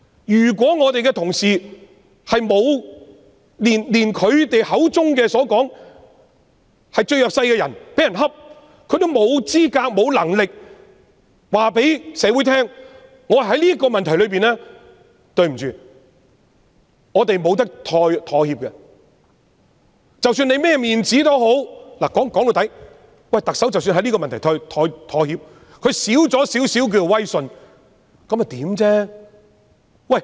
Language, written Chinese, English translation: Cantonese, 如果同事在他們口中所謂最弱勢的人被欺負時，也認為自己沒有資格、沒有能力告訴社會，"在這個問題上，對不起，我們不能夠妥協，無論是甚麼面子也好"......說到底，即使特首在這個問題上妥協，她少了一點點威信，那又如何？, When people whom Honourable colleagues describe as the most disadvantaged are bullied if Members consider themselves neither qualified nor able to tell society On this issue sorry we cannot compromise regardless of any matter of losing face After all even if the Chief Executive compromises on this issue and loses a little prestige so what?